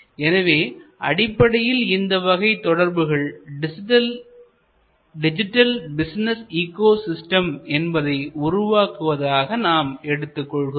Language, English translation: Tamil, So, fundamentally the networks are creating what we call digital business ecosystem